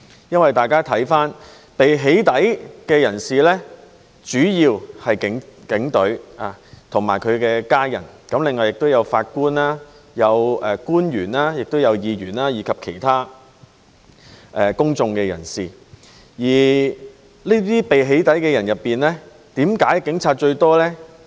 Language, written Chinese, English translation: Cantonese, 因為被"起底"的人主要是警隊及其家人，另外也有法官、官員、議員，以及其他公眾人士，而為何這些被"起底"的人以警察佔最多呢？, It is because the persons being doxxed were mainly police officers and their family members and also judges public officers Legislative Council Members and other public figures . But why were those doxxed mostly police officers?